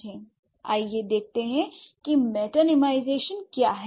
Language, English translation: Hindi, And what is, so let's see what metonymization is